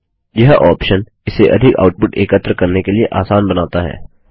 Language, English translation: Hindi, This option makes it easier to collect large outputs